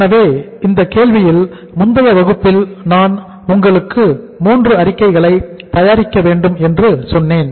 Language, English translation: Tamil, So uh in this problem as I told you in the previous class that we will have to prepare 3 statements